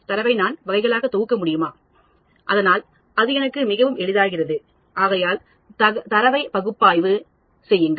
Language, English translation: Tamil, Can I group the data into categories, so that then it becomes much more easy for me to analyze the data